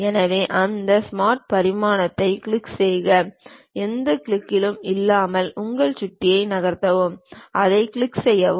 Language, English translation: Tamil, So, click that Smart Dimension click that, just move your mouse without any click then click that